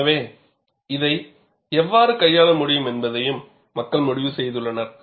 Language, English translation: Tamil, So, people have also devised how this could be handled